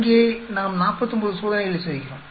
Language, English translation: Tamil, Here, so we are doing 49 experiments